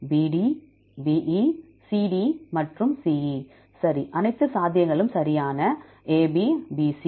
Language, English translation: Tamil, BD, BE, CD, and CE right, all the possibilities right AB, BC